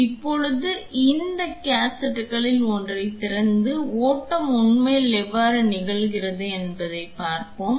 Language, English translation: Tamil, Now let us open one of these cassettes and see how the flow actually happens